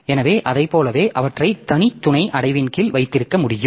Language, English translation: Tamil, So like that we can keep them under separate sub director